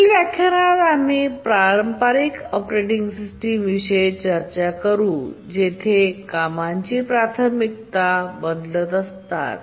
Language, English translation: Marathi, As you will see in our next lecture that the traditional operating systems, they keep on changing task priorities